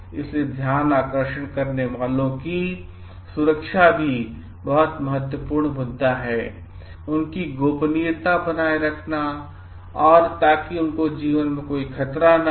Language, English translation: Hindi, So, protecting of the whistleblowers is also very critical issue like maintaining their secrecy, so that their life is not threatened